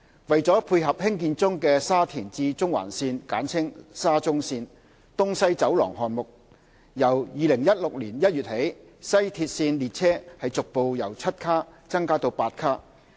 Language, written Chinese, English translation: Cantonese, 為配合興建中的沙田至中環線"東西走廊"項目，由2016年1月起，西鐵線列車逐步由7卡增加至8卡。, To tie in with the East - West Corridor project see Annex under the Shatin to Central Link SCL which is under construction starting from January 2016 WRL trains have been progressively converted from 7 - car to 8 - car trains